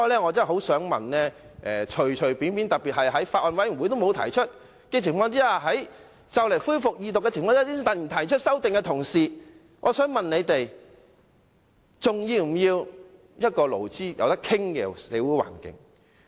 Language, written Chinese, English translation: Cantonese, 我想問在法案委員會沒有提出修正案，在《條例草案》即將恢復二讀之際才突然提出修正案的同事，還要不要一個勞資可以協商的社會環境？, May I put a question to the Honourable Member who did not propose any amendments at the Bills Committee and only proposed his amendments immediately before the resumption of the Second Reading of the Bill Do we still need a social environment in which employers and employees can engage in negotiations?